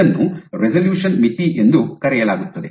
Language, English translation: Kannada, This is called the resolution limit